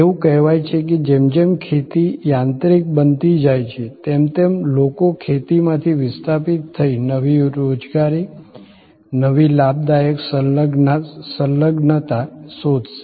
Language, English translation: Gujarati, There are debates and saying that the as agriculture mechanizes, the people who will get displaced from agriculture to find new employment, new gainful engagement